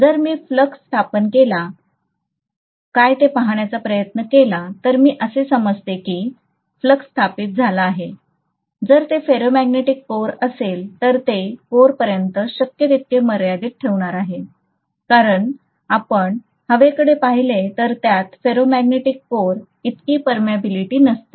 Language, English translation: Marathi, If I try to look at what is the flux established, I am assuming that the flux is established, whatever is established, it is going to confine itself as much as possible to the core if it is a ferromagnetic core because if you look at air, it is not going to have as much of permeability as what ferromagnetic core has